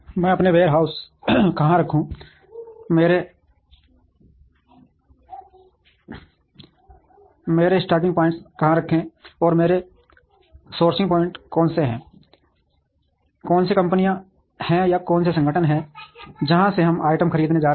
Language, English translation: Hindi, Where do I place my warehouses, where do place my stocking points, and who are my sourcing points, who are the companies for or organizations from which we are going to buy items